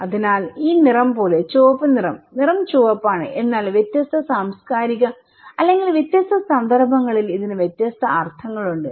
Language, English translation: Malayalam, so, also like this colour; red colour, the colour is red but it has different meaning in different cultural or different context